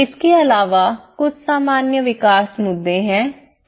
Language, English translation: Hindi, Also, there are some general development issues